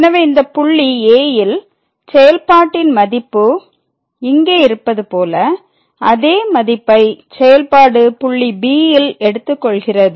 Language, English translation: Tamil, So, this is the point at so, the function value at this point is here and the same value the function is taking at b